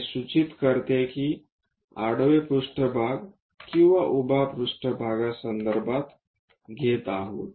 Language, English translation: Marathi, That indicates that with respect to either horizontal plane or vertical plane we are referring